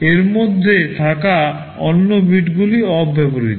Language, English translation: Bengali, The other bits in between are unused